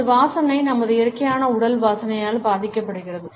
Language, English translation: Tamil, Our scent is influenced by our natural body odor